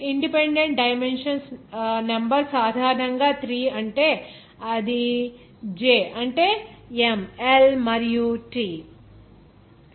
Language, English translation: Telugu, of independent dimensions are generally 3 that is j that is M, L and T